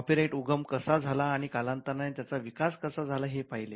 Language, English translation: Marathi, We just saw the introduction to copyright and how it originated and evolved over a period of time